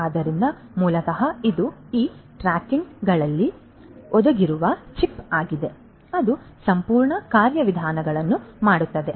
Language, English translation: Kannada, So, basically it’s the chip that is embedded in these tags that makes the entire you know entire mechanism function